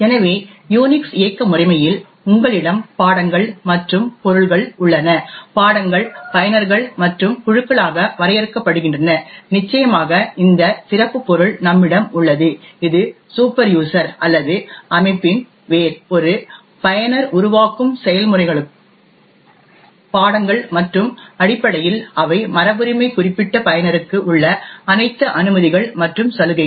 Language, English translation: Tamil, So in Unix operating system you have subjects and objects, subjects are defined as users and groups and of course we have this special subject which is the superuser or the root of the system, processes that a user creates are also subjects and essentially they inherit all the permissions and privileges that particular user has